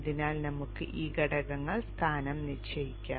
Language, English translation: Malayalam, So let us position these elements